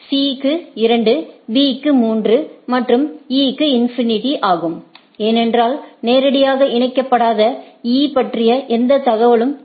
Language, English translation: Tamil, To C is 2, to B is 3 and to E is infinity, because it know does not have any information about E that is not directly connected